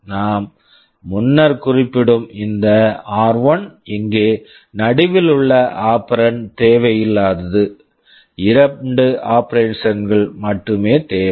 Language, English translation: Tamil, This r1 which we are mentioning earlier, the middle operand that is not required here, only two operands are required